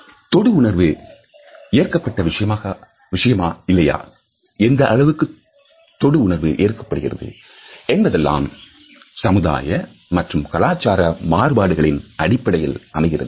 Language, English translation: Tamil, The presence or absence of touch the extent to which it is acceptable in a society depends on various sociological and cultural developments